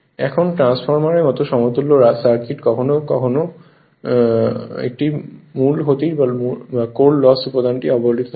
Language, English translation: Bengali, Now, the when will derive that equivalent circuit like transformer its core loss component is neglected